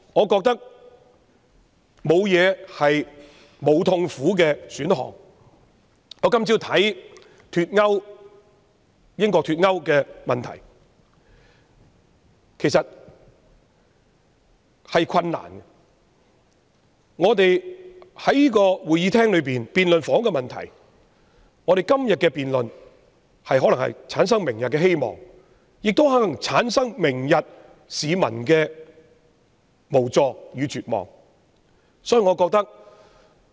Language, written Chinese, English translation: Cantonese, 今天早上我看到英國脫歐的問題，其實亦有困難，而我們在議事廳內辯論房屋問題，今天的辯論可能會產生明天的希望，亦可能會產生市民明天的無助與絕望。, This morning I have come across news about Brexit which is actually also a knotty issue . And now we are debating housing problems in the Chamber . The debate today may bring a hopeful future or may bring members of the public a helpless and hopeless future